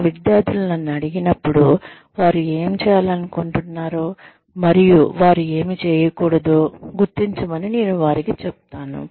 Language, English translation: Telugu, When my students ask me, I tell them to identify, what they like to do, and what they do not like to do